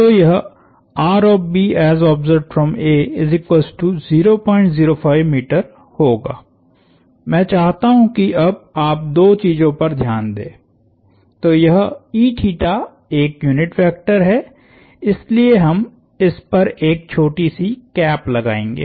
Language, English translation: Hindi, I want you to notice two things now, so this e theta is a unit vector, so we will put a little cap on it